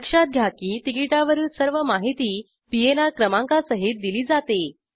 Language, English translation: Marathi, Note that all the information about the ticket are also given including the PNR number